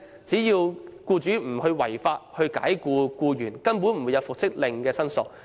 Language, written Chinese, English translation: Cantonese, 只要僱主沒有違法解僱僱員，根本不會出現與復職令有關的申索。, Without unlawful dismissal no claims will arise from the reinstatement order